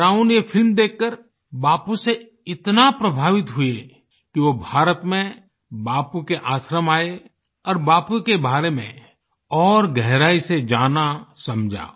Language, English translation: Hindi, Brown got so inspired by watching this movie on Bapu that he visted Bapu's ashram in India, understood him and learnt about him in depth